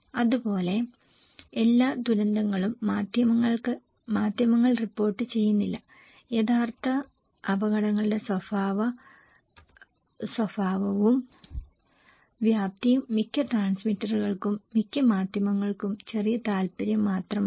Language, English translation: Malayalam, Like, all disasters are not reported by the mass media, the nature and magnitude of the original hazards are only minor interest for most of the transmitter, most of the mass media